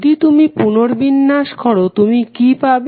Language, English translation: Bengali, If you rearrange what you will get